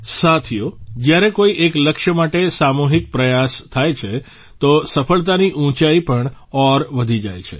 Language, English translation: Gujarati, Friends, when there is a collective effort towards a goal, the level of success also rises higher